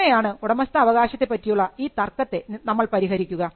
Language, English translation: Malayalam, How are we going to settle this ownership dispute